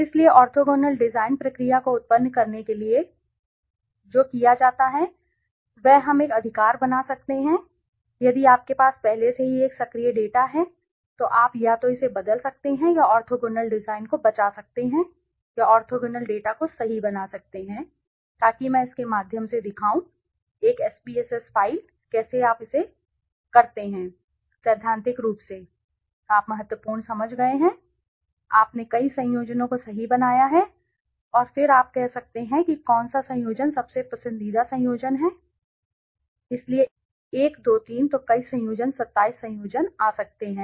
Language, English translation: Hindi, So, to generate the orthogonal design procedure which is orthogonal design what is done is we can create one right if you already have a active data s you can either replace it or save the orthogonal design or create a orthogonal data file right so I will show through a SPSS file how do you do it right theoretically you have understood key that you have make several combinations right and then you can say which combination is the most preferred combination right so one two three, one two three so several combination 27 combination can come right